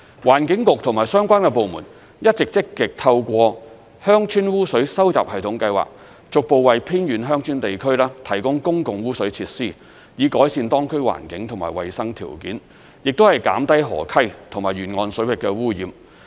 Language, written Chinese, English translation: Cantonese, 環境局和相關部門一直積極透過鄉村污水收集系統計劃，逐步為偏遠鄉村地區提供公共污水設施，以改善當區環境和衞生條件，亦減低河溪及沿岸水域的污染。, The Environment Bureau and related departments have been working proactively under the Village Sewerage Programme to gradually connect remote rural areas to public sewerage facilities so as to improve the environment and hygiene conditions of the areas and reduce pollution in rivers and coastal waters